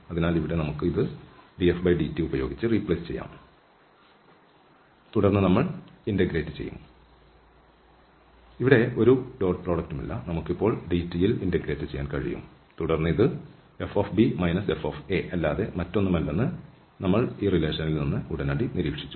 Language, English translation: Malayalam, So, here we can replace this by df over dt and then we will integrate over so, there is no dot product here we can integrate now over dt and then we immediately observed from this relation that this is nothing but fb minus fa